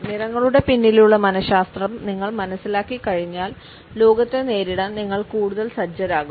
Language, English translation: Malayalam, Once you understand the psychology behind colors, you will be better equipped to take on the world